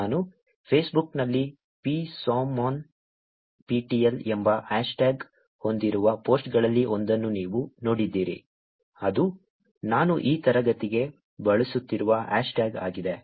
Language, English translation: Kannada, You saw one of the posts that I did on Facebook which had hashtag psomonnptel, which is the hashtag I am using for this class also